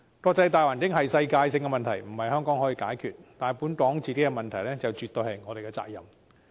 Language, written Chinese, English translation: Cantonese, 國際大環境是世界性問題，不是香港可以解決的，但本港的問題絕對是我們的責任。, The international environment is a worldwide problem which cannot be resolved by Hong Kong but problems in Hong Kong must definitely by resolved by us